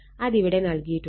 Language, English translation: Malayalam, So, it is written in it